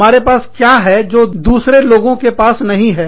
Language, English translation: Hindi, What do we have, that others, do not have